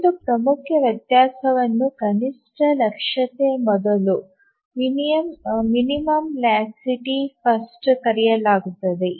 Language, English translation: Kannada, One important variation is called as a minimum laxity first